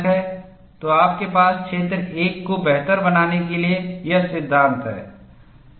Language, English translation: Hindi, So, you have this law to account region 1 better